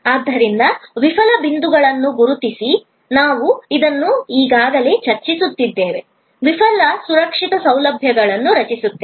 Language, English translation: Kannada, So, identify fail points, we discuss this already, creating of the fail safe facilities